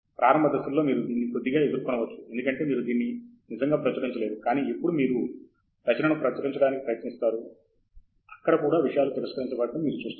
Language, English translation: Telugu, Maybe in the initial phases you can deal with it little bit because you have not really published it, but when you try to publish the work, even there you will see things will get rejected